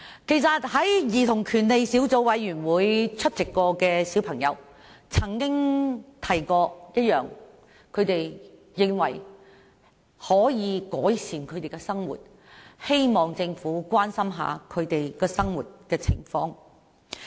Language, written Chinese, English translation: Cantonese, 曾經出席兒童權利小組委員會會議的小孩提到，他們認為需要改善生活，希望政府關心他們的生活情況。, Children who had attended meetings of the Subcommittee on Childrens Rights mentioned they considered that their living needs improvement and hoped that the Government would pay attention to their living conditions